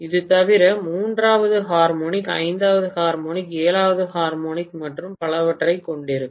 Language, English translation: Tamil, Apart from that it will have third harmonic, fifth harmonic, seventh harmonic and so on and so forth